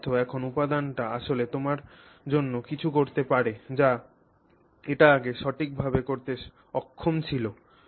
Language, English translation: Bengali, It means that now that material can actually do something for you which it was previously unable to do for you, right